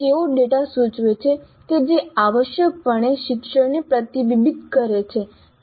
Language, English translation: Gujarati, They indicate data which essentially reflects the learning